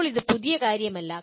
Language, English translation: Malayalam, Now this is not anything new